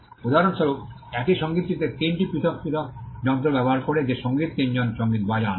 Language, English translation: Bengali, For example, the music that is played by three musicians using different 3 different instruments at the same time